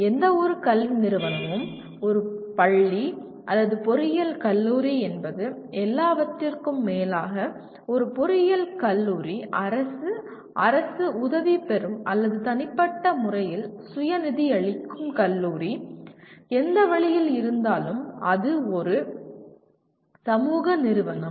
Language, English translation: Tamil, The after all any academic institute whether it is a school or an engineering college; an engineering college may be government, government aided or privately self financing college, whichever way it is, it is a social institution